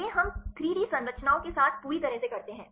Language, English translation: Hindi, These are we did with the completely with 3D structures